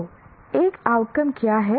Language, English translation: Hindi, So what is an outcome